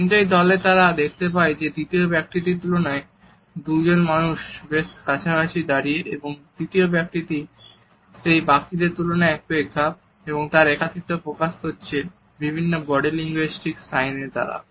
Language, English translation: Bengali, But in this group, we look at the two people are standing with certain closeness in comparison to the third person and the third person who is slightly isolated in comparison to others is also showing his isolation with the help of other body linguistic signs